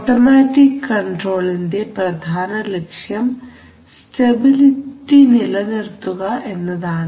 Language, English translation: Malayalam, So what is the objective of automatic control, the objective of automatic control is firstly to maintain stability